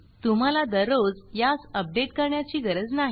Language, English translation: Marathi, You dont have to do this update every day